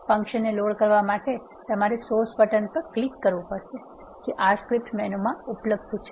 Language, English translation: Gujarati, To load a function you need to click on the source button that is available in the R script menu